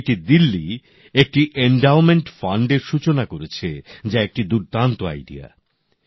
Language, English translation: Bengali, IIT Delhi has initiated an endowment fund, which is a brilliant idea